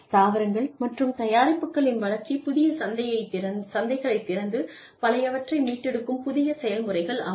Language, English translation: Tamil, Development of new processes, plants and products, that open new markets, and restore old ones